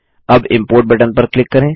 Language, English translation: Hindi, Now click on the Import button